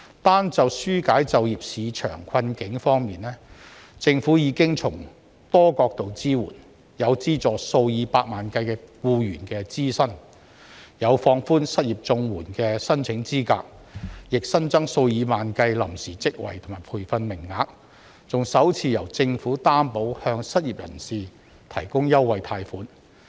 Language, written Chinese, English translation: Cantonese, 單就紓解就業市場困境方面，政府已經從多角度支援，有資助數以百萬計僱員的支薪，有放寬失業綜援的申請資格，也新增數以萬計臨時職位和培訓名額，還首次由政府擔保向失業人士提供優惠貸款。, In alleviating difficulties in the job market the Government has provided multi - pronged support . It has provided salary subsidies for millions of employees relaxed the eligibility criteria for Comprehensive Social Security Assistance CSSA for the unemployed and offered tens of thousands of temporary jobs and training places . The Government has also for the first time provided a guarantee for special loans to the unemployed